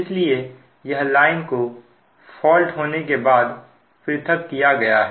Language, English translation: Hindi, so this line is isolated when the fault is clear